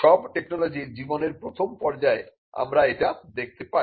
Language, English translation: Bengali, So, we see this in all technologies during the early stage of their life